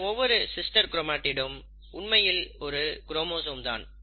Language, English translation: Tamil, These are sister chromatids, but each one of them is actually a chromosome